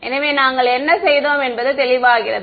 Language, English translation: Tamil, So, it is clear what we did right